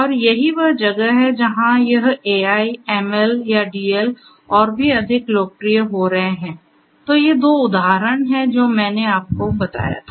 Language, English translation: Hindi, And that is where this AI, ML, or DL are becoming even more popular So, these are 2 examples that I told you